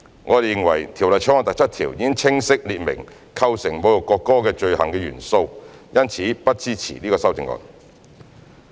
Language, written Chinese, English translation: Cantonese, 我們認為《條例草案》第7條已清晰列明構成侮辱國歌罪行的元素，因此不支持此修正案。, As clause 7 has already laid down unequivocally elements which constitute an offence of insulting the national anthem we do not support this amendment